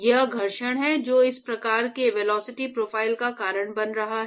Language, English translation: Hindi, So, it is the friction which is causing these kind of velocity profiles